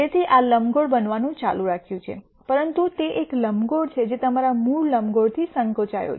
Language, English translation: Gujarati, So, this is continuing to be an ellipse, but it is an ellipse that are shrunk from your original ellipse